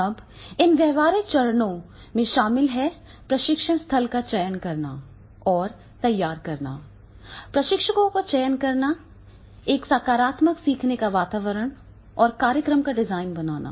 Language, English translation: Hindi, Now this practical step includes the selecting and preparing the training site, selecting the trainers, creating a positive learning environment and the program design